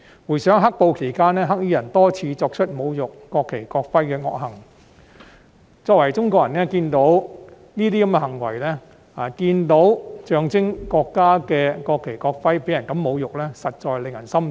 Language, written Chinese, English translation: Cantonese, 回想"黑暴"期間，"黑衣人"多次作出侮辱國旗、國徽的惡行，作為中國人，看到這些行為，以及看到象徵國家的國旗、國徽這樣被人侮辱，實在令人心痛。, As I recall the black - clad rioters committed evil acts repeatedly by desecrating the national flag and national emblem during the black - clad riots . As a Chinese it is heartbreaking to see such behaviour and to see the national flag and national emblem being insulted